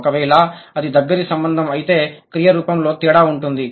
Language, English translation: Telugu, If it is a close fit, there is no difference in the verb form